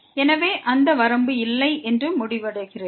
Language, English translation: Tamil, So, that concludes that the limit does not exist